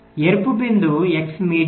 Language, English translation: Telugu, so the red point is your x median median